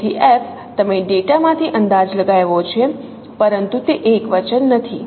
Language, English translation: Gujarati, So if you have estimated from the data but that is not singular